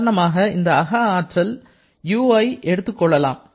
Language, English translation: Tamil, Let us take the example of this internal energy u